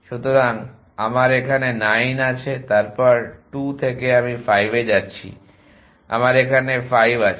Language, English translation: Bengali, So, I have 9 here then from 2 I am going to 5 I have 5 here